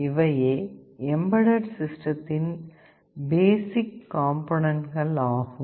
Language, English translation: Tamil, These are the basic components of a typical embedded system